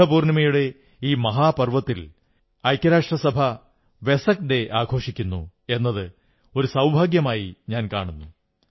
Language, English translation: Malayalam, I feel fortunate that the occasion of the great festival of Budha Purnima is celebrated as Vesak day by the United Nations